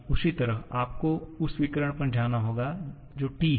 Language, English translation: Hindi, Similarly, for s you have to go to the diagonal which is T